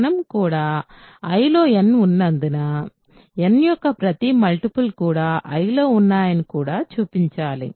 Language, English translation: Telugu, And, we also need to show that, also since n is there in I, every multiple of n is also in I right